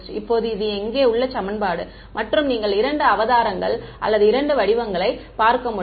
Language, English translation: Tamil, Now, this equation over here has can take two avatars or two forms as you can see